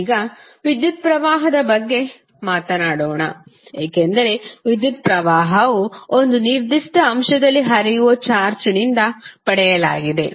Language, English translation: Kannada, Now, let us talk about the electric current, because electric current is derived from the charge which are flowing in a particular element